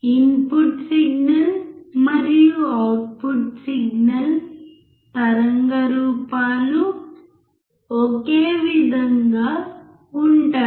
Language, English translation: Telugu, Input signal and output signal waveform would be same